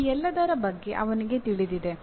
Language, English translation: Kannada, He is aware of all these